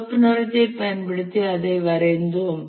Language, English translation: Tamil, We drew it using red color